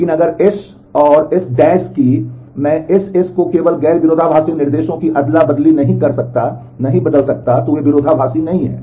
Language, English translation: Hindi, But if S and S’ that, I cannot transform S into S’ by just swapping non conflicting instructions, then they are not conflict equivalent